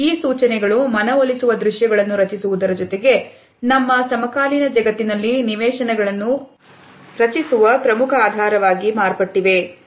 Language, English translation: Kannada, And these cues have become an important basis for creating convincing visuals as well as creating animations in our contemporary world